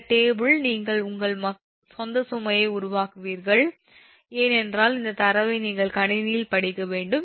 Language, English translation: Tamil, with this table you will make up your own right, because this data you have to read in the computer